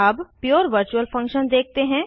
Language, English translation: Hindi, Let us see pure virtual function